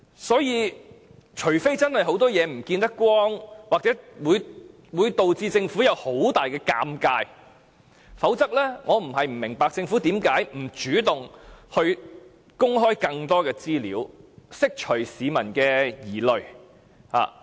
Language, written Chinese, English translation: Cantonese, 因此，除非有很多不能見光的事情，或會導致政府有很大尷尬，否則我不明白政府為何不主動公開更多資料，以釋除市民的疑慮。, Therefore unless there are a lot of things which cannot be exposed or which can cause a big embarrassment for the Government otherwise I do not understand why the Government cannot take the initiative to disclose more information to allay public concerns